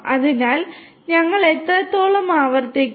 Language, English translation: Malayalam, So, how long do we repeat